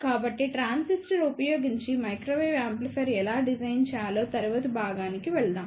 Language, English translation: Telugu, So, let us go to the next part how to design microwave amplifier using transistor